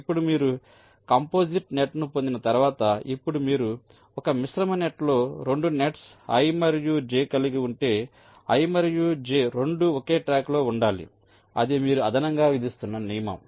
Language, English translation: Telugu, now, once you get a composite net, now you are saying that if a composite net consist of two nets, i and j, both i and j must be laid out on the same track